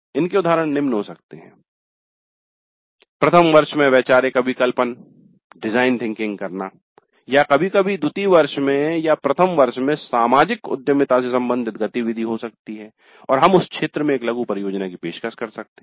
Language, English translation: Hindi, Examples can be design thinking in first year or sometimes in second year or in first year there could be activity related to social entrepreneurship and we might offer a mini project in that area